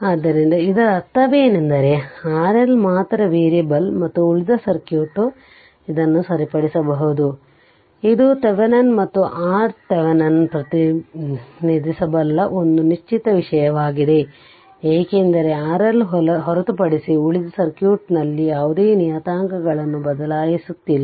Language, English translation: Kannada, So that means, only R L is variable and rest of the circuit, you are fixing it right, it is a fixed thing that is can be represented by V Thevenin and R Thevenin, because you are not changing any parameters in the rest of the circuit apart from R L